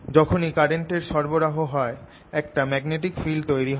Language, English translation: Bengali, as soon as the current flows, there is a magnetic field established